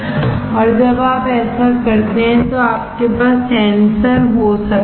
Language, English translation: Hindi, And when you do this one you can have the sensor